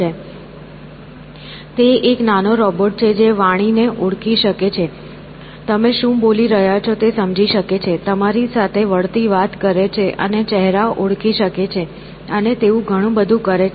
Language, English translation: Gujarati, It is a small robot which can recognize speech, understand what you are saying, talk back and recognize faces, and so on, exactly